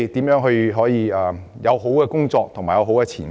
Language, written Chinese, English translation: Cantonese, 如何能有好的工作和前景？, How can we offer decent jobs and good prospects?